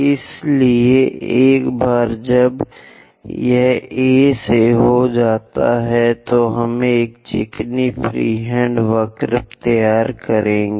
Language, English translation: Hindi, So, once it is done from A, we we will draw a smooth freehand curve